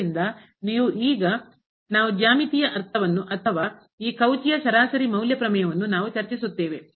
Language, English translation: Kannada, So, if you now we discuss the geometrical meaning or the of this Cauchy mean value theorem